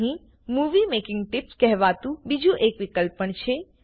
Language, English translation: Gujarati, There is another option called the Movie Making Tips